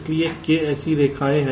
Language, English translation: Hindi, so there are k such lines